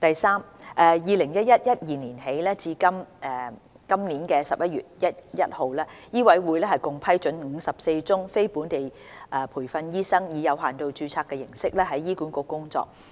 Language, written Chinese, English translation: Cantonese, 三自 2011-2012 年度起至今年11月1日，醫委會共批准54宗非本地培訓醫生以有限度註冊形式在醫管局工作。, 3 From 2011 - 2012 to 1 November 2019 MCHK approved 54 limited registration applications for non - locally trained doctors to practise in HA